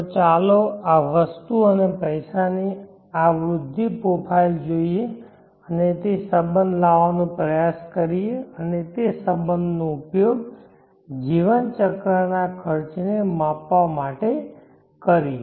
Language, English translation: Gujarati, So let us look at this growth profile of this item and money and try to bring in that relationship and use that relationship to measure the lifecycle cost